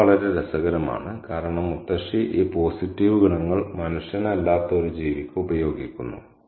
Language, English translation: Malayalam, And that's very interesting because the grandmother uses these positive qualities to a being that is not human